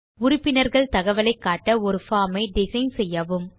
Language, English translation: Tamil, Design a form to show the members information